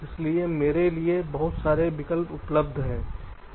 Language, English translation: Hindi, so there so many options available to me, right